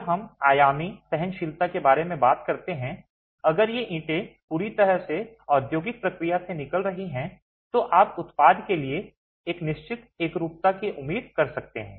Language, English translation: Hindi, When we talk of dimensional tolerances, if these bricks are coming out of a thorough industrialized process, you can expect a certain uniformity to the product